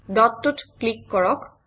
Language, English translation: Assamese, Click at the dot